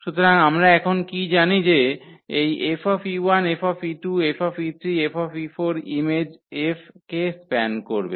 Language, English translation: Bengali, So, what we know now that this F e 1, F e 2, F e 3, F e 4 they will span the image F